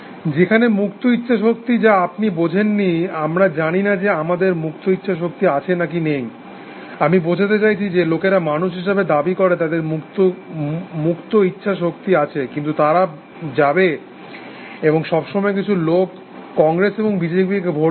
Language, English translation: Bengali, Whereas, free will, which you do not understand, we do not know whether we have free will or not, I mean people claim that human beings have free will, but they all go and vote for some congress and b j p all the time essentially